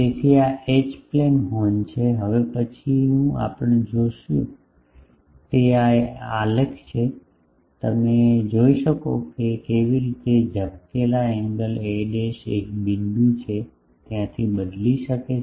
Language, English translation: Gujarati, So, this is the H plane horn, the next one we see is at this is a graph you can see that how flare angle changes the a dash there is a point